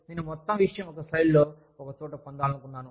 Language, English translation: Telugu, I wanted to get the whole thing, on one slide, in one place